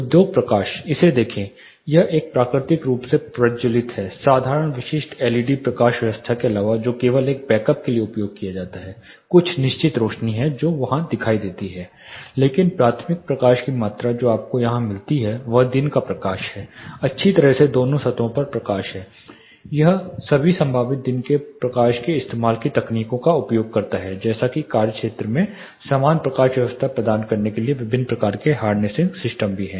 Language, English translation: Hindi, (Refer Slide Time: 02:03) industry lighting see look at this is a naturally lit apart from simple, specific led lighting which is just used for a backup, there are certain lights which are still there seen there, but primary amount of light which you receive here is daylight well lit on both the surfaces it use, uses all the possible daylight harvesting techniques, as to provide more or less uniform lighting across the work area